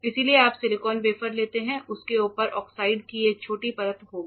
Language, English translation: Hindi, So, if the wafer you take silicon wafer you take it will have a small layer of oxide on top of it